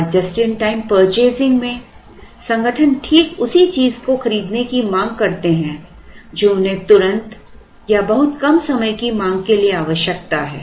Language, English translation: Hindi, And just in time purchasing where organizations tend to buy exactly what is demanded or they buy for the demand of a very short period of time